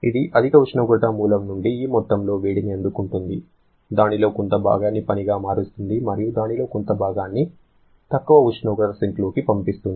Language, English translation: Telugu, It is receiving this amount of heat from this high temperature source converting a part of that to work and then rejecting a part of this into the low temperature sink